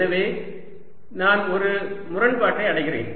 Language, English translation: Tamil, so i am hitting a contradiction